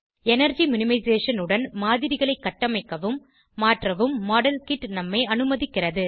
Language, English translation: Tamil, Modelkit allows us to build and modify models with energy minimization